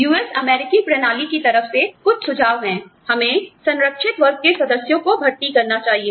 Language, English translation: Hindi, Some suggestions, from the US system are, we recruit, protected class members